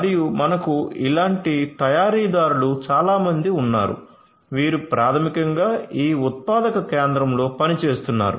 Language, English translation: Telugu, And we have many such workers like this who are basically doing the work over here in this manufacturing facility